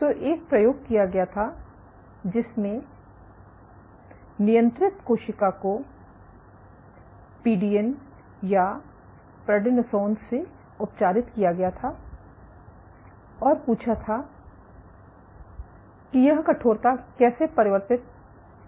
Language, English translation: Hindi, So, experiment was performed in which you had control cells if you had treat it with PDN or prednisone and asked how does this stiffness strange ok